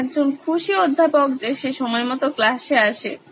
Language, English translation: Bengali, I am a happy Professor that he comes to class on time